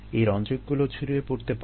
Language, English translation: Bengali, ah, these dyes could leak out